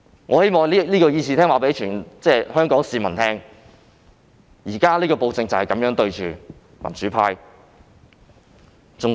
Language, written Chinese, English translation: Cantonese, 我希望在議事廳告訴全港市民，現在的暴政就是這樣對付民主派的。, I would like to tell all Hong Kong people in this Chamber how the present tyranny suppresses the pro - democracy camp